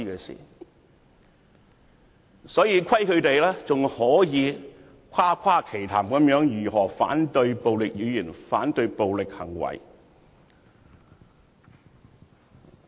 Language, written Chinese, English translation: Cantonese, 所以，虧他們還可以誇誇其談，反對暴力語言和行為。, How can they still boast that they oppose verbal and behavioural violence?